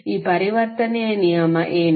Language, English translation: Kannada, What is that conversion rule